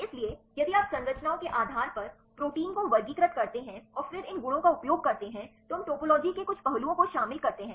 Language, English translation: Hindi, So, if you classify the proteins based on structures and then use these properties then we include the some of the topology aspects